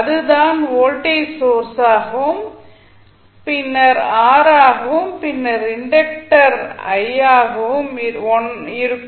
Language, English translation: Tamil, That would be the voltage source and then r and then inductor l